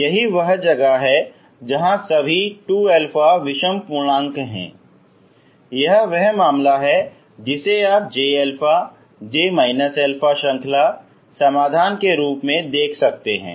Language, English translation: Hindi, That is where 2 odd integer this is the case you could see that j alpha j minus alpha as series solutions